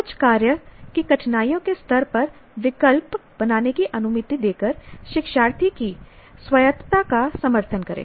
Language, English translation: Hindi, Support the learners autonomy by allowing them to make choices on the level of difficulty of certain tasks